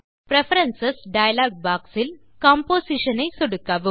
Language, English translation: Tamil, From the Preferences.dialog box, click Composition